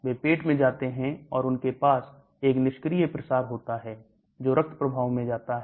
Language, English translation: Hindi, They go to the stomach and they have a passive diffusion goes to the bloodstream